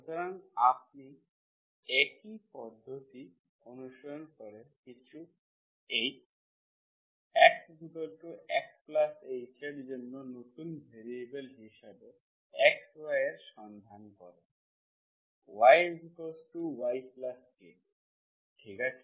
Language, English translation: Bengali, So you follow the same procedure, you look for x, y as new variables for some H, y as some new variable y plus K